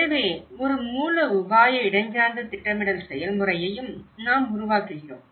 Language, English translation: Tamil, So, this is where we also develop a strategic spatial planning process